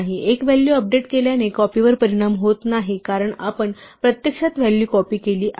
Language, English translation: Marathi, Updating one value does not affect the copy, because we have actually copied the value